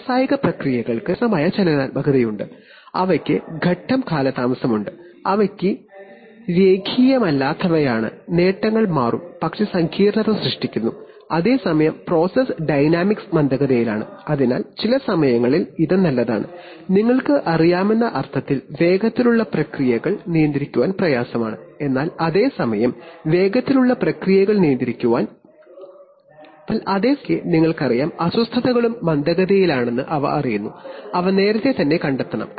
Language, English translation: Malayalam, You know industrial sub, concluding remarks that industrial processes have sometimes a very complex dynamics they have phase lag, they have non linearity, gains will change but, so that creates complexity, well at the same time the process dynamics is slow, so sometimes it is good, in the sense that you know fast processes are difficult to control but at the same time sometimes you know disturbances also travel slow and they are, they should be detected early otherwise the large errors may perceive may persist for unacceptably long times